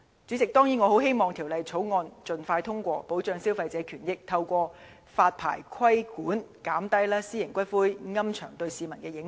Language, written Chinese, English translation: Cantonese, 主席，我當然很希望《條例草案》盡快獲得通過，以保障消費者權益，並透過發牌規管，減低私營龕場對市民的影響。, President I am eager to see the expeditious passage of the Bill so that consumers rights and interests can be protected . I hope that through the regulation by licensing the adverse impacts of private columbaria on the residents will be reduced